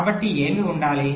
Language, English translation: Telugu, so what should be